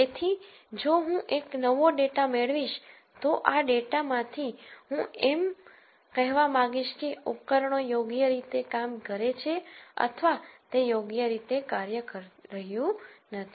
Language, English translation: Gujarati, So, if I get a new data I want to say from this data if the equipment is working properly or it is not working properly